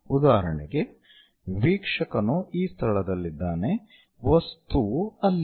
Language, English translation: Kannada, For example, observer is at this location, the object is that